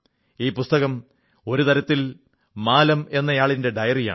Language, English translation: Malayalam, This book, in a way, is the diary of Maalam